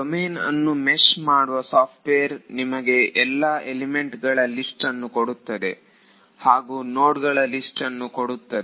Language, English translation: Kannada, The software which meshes the domain will give you a list of for each element it will give a list of nodes